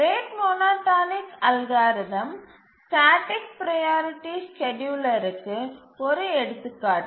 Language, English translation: Tamil, The rate monotonic algorithm is an example of a static priority scheduler